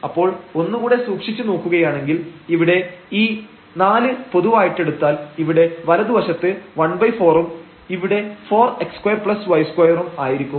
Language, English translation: Malayalam, So, if we take a close look, so here if we take this 4 common, so will be 1 by 4 there in the right hand side, this 4 x square plus y square